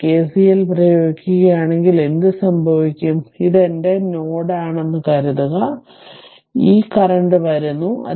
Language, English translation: Malayalam, If you apply K C L here, so what will happen for your understanding suppose this is my this node right this current is coming